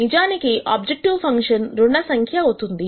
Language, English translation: Telugu, In fact, the objective function has become negative